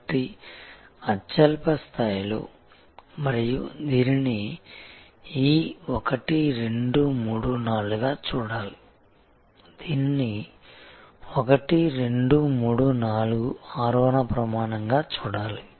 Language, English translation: Telugu, So, at the lowest level and it should be seen as this 1, 2, 3, 4, this should be seen as an ascending journey 1, 2, 3, 4